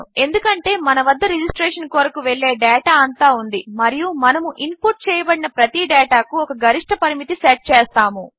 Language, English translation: Telugu, Because we have got our data going to our registration, we are going to set a maximum limit for each data that is input